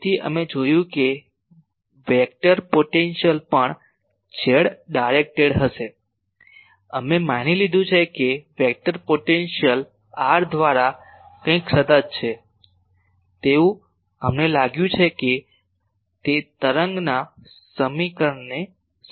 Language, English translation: Gujarati, So, according to we found that vector potential also will be z directed we assume that vector potential is some constant by r by that we found that ok, it is satisfying the wave equation